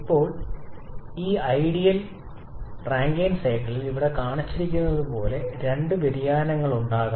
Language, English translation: Malayalam, Now the ideal Rankine cycle of course can have two variations as shown here